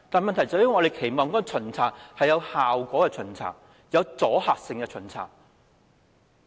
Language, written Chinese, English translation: Cantonese, 我們期望的巡查是有效果、有阻嚇性的巡查。, The inspection we expect is one which is effective and carries deterrence